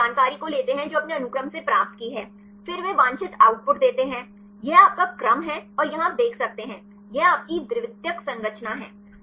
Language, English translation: Hindi, And they takes the information that you obtained from the sequence, then they give the desired output; this is your sequence and here you can see; this is your secondary structure